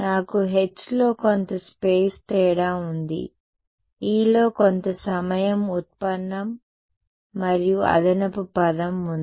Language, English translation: Telugu, I had a some space difference in H, some time derivative in E and an additional term